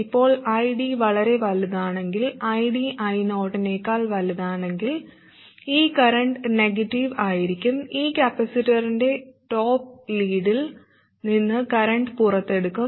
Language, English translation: Malayalam, Now if ID is too large, that is, ID is larger than I 0, then this current will be negative, current will be drawn out of the top plate of this capacitor